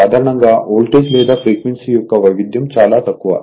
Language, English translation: Telugu, So, generally variation of voltage or frequency is negligible